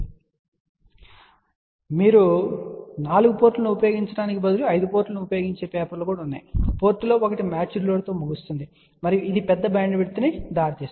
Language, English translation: Telugu, In fact, just to give you a little bit of a hint also, instead of using a 4 port there are papers which use 5 ports one of the port is terminated in to match load, and that gives rise to larger bandwidth